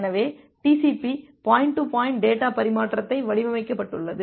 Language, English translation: Tamil, So, TCP it was designed for this point to point data transfer